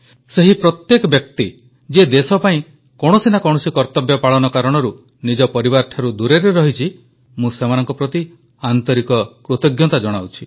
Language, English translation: Odia, I express gratitude to each and every person who is away from home and family on account of discharging duty to the country in one way or the other